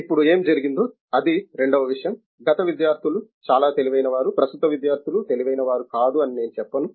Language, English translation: Telugu, Now, what has happened is the second thing, that is I would not say the students have become, are they a past students are very brilliant, the present students are not brilliant and this